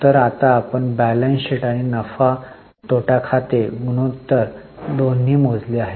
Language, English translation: Marathi, So, we have now calculated both balance sheet and profitability P&L ratios